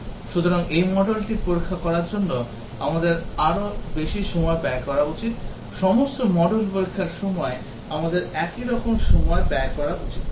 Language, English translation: Bengali, So, we need to spend more time testing that module, we should not spend uniform time in testing all the modules